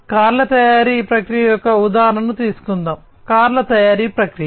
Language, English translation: Telugu, So, let us take the example of a car manufacturing process; car manufacturing process